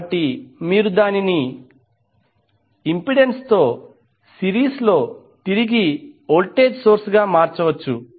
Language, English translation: Telugu, So you can convert it back into a current voltage source in series with the impedance